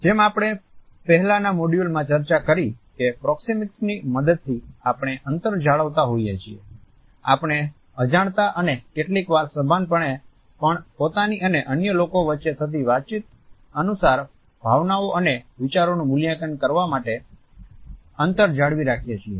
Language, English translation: Gujarati, As we have discussed in the previous module proxemics is a way through which we look at the distances, we unconsciously and sometimes consciously also maintained between ourselves and the other people in order to assess the emotions and ideas which are communicated